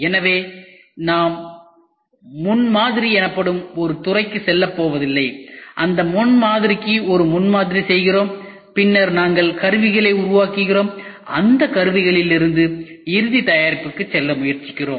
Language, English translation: Tamil, So, we are not going to go into a field called as prototyping, we make a prototype for that prototype then we make tools and from that tools we try to go for the final product